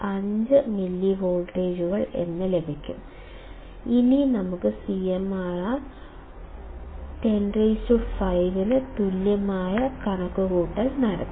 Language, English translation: Malayalam, 5 millivolts; Now let us do the same calculation with CMRR equals to 10 raised to 5